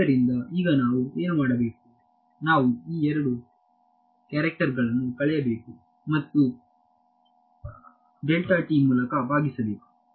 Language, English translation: Kannada, So, now, what do we have to do we have to subtract these two characters and divide by delta t ok